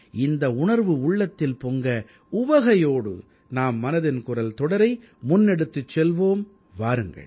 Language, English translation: Tamil, With this sentiment, come, let's take 'Mann Ki Baat' forward